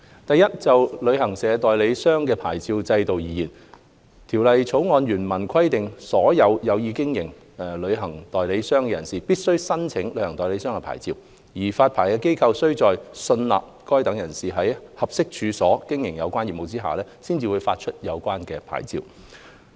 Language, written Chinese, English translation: Cantonese, 第一，就旅行代理商的牌照制度而言，《旅遊業條例草案》原文規定所有有意經營旅行代理商的人士必須申請旅行代理商牌照，而發牌機構須在信納該等人士在合適處所經營有關業務下，方會發出有關牌照。, Firstly regarding the licensing regime for travel agents the original text of the Travel Industry Bill the Bill provides that a person who intends to carry on travel agent business must apply for a travel agent licence and the licensing body must not issue such licence unless it is satisfied that the person will carry on travel agent business on suitable premises